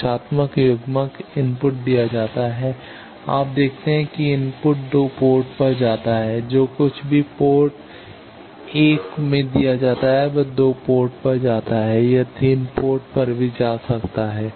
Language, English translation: Hindi, Directional coupler input is given; you see that input goes to port 2; whatever is given at port 1 it goes to port 2 it also goes to port 3